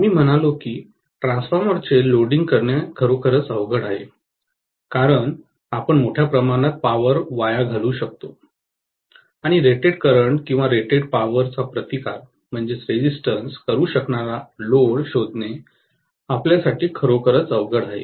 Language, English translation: Marathi, We said that actually loading the transformer is going to be difficult because we would end up wasting a huge amount of power and it will be very very difficult for us to actually find the load which can withstand the rated current or rated power